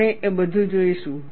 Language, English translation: Gujarati, You will see all that